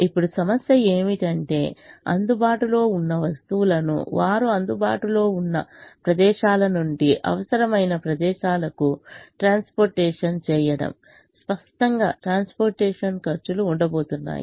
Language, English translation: Telugu, now the problem is to transport the available items from the places where they are available to the places where they are required